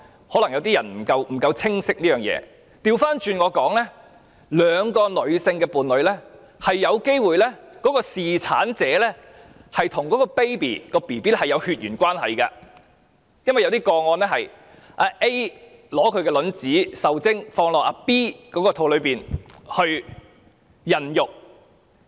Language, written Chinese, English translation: Cantonese, 可能有些人對這件事不太清晰，我倒過來說，在兩名女性伴侶中的侍產者，是有機會與嬰兒有血緣關係，因為在某些個案中，是會以 A 的卵子受精後，再放到 B 的子宮中孕育。, Perhaps some people are not so clear about this . I put it the other way round . It is possible that the female same - sex partner or the carer of a childs mother is genetically related to the baby because in some cases the fertilized egg of A would be placed into the uterus of B for pregnancy